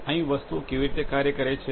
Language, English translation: Gujarati, Like how things work over here